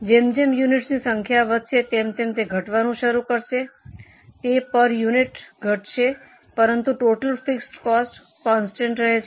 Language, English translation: Gujarati, It will keep on falling as the number of units increase on a per unit basis it will fall but as a total fixed cost it remains constant